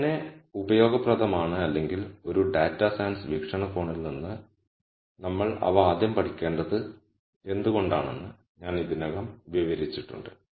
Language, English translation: Malayalam, I already described how these are useful or why we should study them in the rst place from a data science perspective